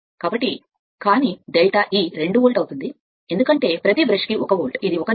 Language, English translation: Telugu, So, but delta E will be 2 volt because, per brush 1 volt that is why, it is written 1 into 2